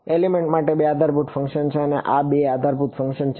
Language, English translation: Gujarati, There are two basis functions for an element and these are those two basis functions